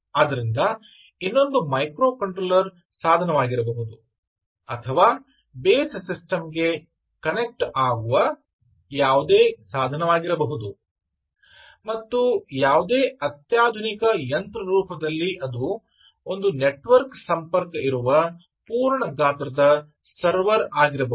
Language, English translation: Kannada, so just quickly run through, it can be any device from a microcontroller to a come at based system, base system, to any sophisticated machine it could also be a full size server and so on which has a network connection